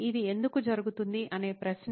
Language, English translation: Telugu, The question why this happens